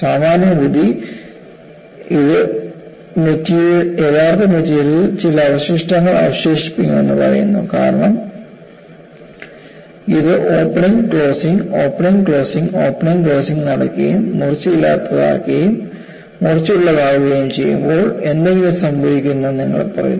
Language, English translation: Malayalam, Common sense tells this should leave some residue on the actual material, because you say that it is opening closing, opening closing, opening closing it becomes blunt and sharp something should happen